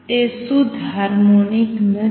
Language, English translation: Gujarati, It is not a pure harmonic